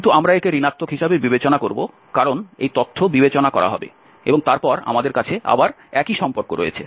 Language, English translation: Bengali, But this ratio we do not, we will consider as a negative because this data will be considered and then we have again the same relation